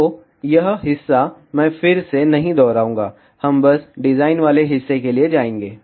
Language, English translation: Hindi, So this part, I will not repeat again, we will just simply go for the design part